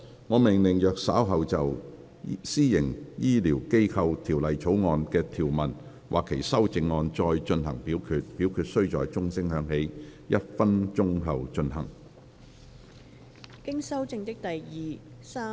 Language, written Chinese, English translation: Cantonese, 我命令若稍後就《私營醫療機構條例草案》的條文或其修正案再進行點名表決，表決須在鐘聲響起1分鐘後進行。, I order that in the event of further divisions being claimed in respect of any provisions of or any amendments to the Private Healthcare Facilities Bill this committee of the whole Council do proceed to each of such divisions immediately after the division bell has been rung for one minute